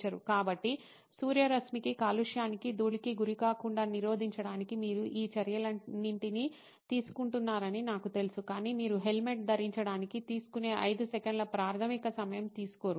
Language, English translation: Telugu, So, to me that was bugging that you take all these steps to prevent your exposure to sunlight, to pollution, to dust and what not but you do not take the basic 5 seconds it takes to wear a helmet